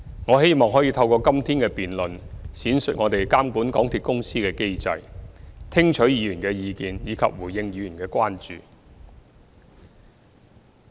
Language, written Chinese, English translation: Cantonese, 我希望可以透過今天的辯論，闡述我們監管港鐵公司的機制，聽取議員的意見，以及回應議員的關注。, Through todays debate I hope to elaborate on our mechanism for monitoring MTRCL listen to Members views and address Members concerns